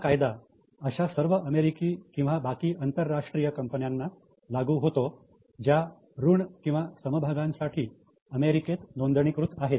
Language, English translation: Marathi, This is applicable to US and also to all international companies who have listed any equity or debt in US